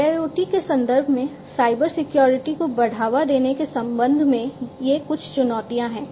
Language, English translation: Hindi, So, in the context of IIoT these are some of the challenges with respect to provisioning Cybersecurity